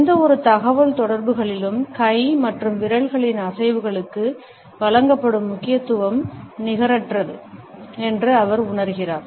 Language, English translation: Tamil, And he feels that the significance, which is given to hand and fingers movements in any communication is rather disproportionate